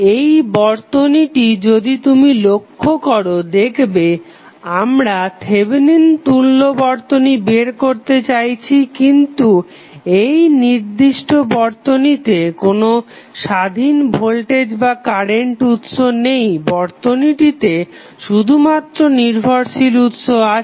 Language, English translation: Bengali, In this circuit if you see the circuit we want to find out the Thevenin equivalent but in this particular circuit we do not have any independent voltage or current source, so the circuit would have only dependent source